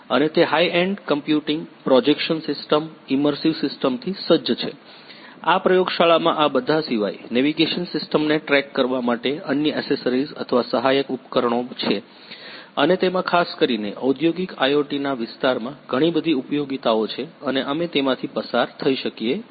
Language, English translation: Gujarati, And it is equipped with high end computing, projection system, immersive system, tracking a navigation system apart from this laboratory is having other accessories or supporting equipment and it has lot of application in particularly in the area of industrial IoT and we can go through this particular facility thank you